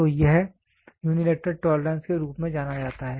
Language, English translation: Hindi, So, it is known as unilateral tolerance